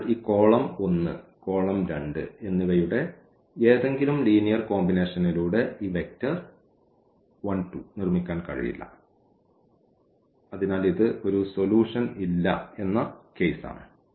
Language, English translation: Malayalam, So, it is not possible to produce this vector 1 and 2 by any linear combination of this column 1 and this column 2 and hence, this is the case of no solution